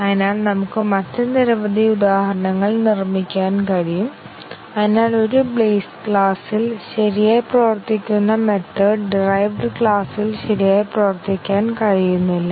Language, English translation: Malayalam, So, we can construct many other examples which, so that the method which works correctly in a base class fails to work correctly in the derived class